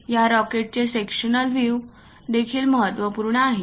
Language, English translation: Marathi, The sectional view of this rocket is also important